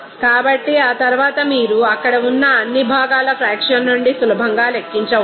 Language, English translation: Telugu, So, after that you can easily calculate what from the fraction of all those components there